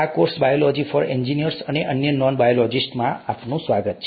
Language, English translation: Gujarati, Welcome to this course “Biology for Engineers and other Non Biologists”